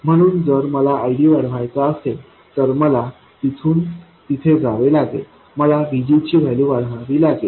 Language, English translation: Marathi, So, if I have to increase ID, I have to go from there to there, I have to increase the value of VG